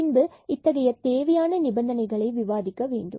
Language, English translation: Tamil, And again then we have to discuss these necessary conditions